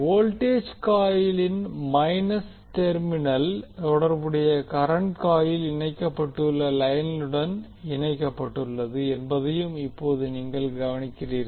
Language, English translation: Tamil, Now you also notice that the plus minus terminal of the voltage coil is connected to the line to which the corresponding current coil is connected